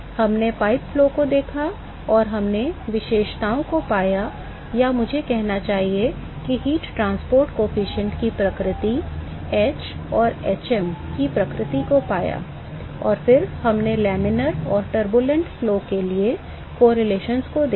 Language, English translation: Hindi, We looked at pipe flow and we found the characteristics or I should say nature of heat transport coefficient, nature of h and hm we found that, and then we looked at correlations for laminar and turbulent flow